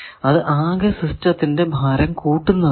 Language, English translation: Malayalam, So, it increases the weight of the whole system